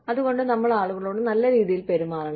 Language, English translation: Malayalam, So, we need to be nice, to people